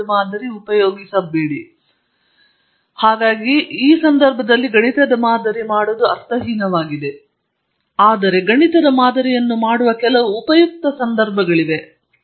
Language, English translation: Kannada, I mean doing mathematical modeling for its own sake is meaningless, although there are some useful occasions where you do that